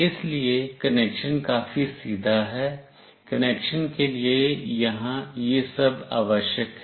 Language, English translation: Hindi, So, the connection is fairly straightforward, this is all required here for the connection